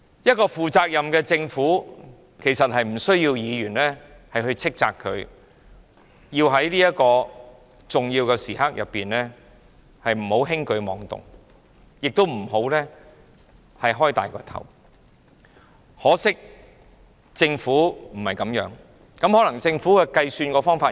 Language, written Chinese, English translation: Cantonese, 一個負責任的政府，其實無需議員斥責，它不應在重要時刻輕舉妄動，亦不應貿然大增開支，可惜政府卻不是這樣行事，可能政府有不同的計算方法吧。, In fact a responsible government does not need Members reproach . It should not take any reckless action at critical times . Nor should it rashly increase the expenditure drastically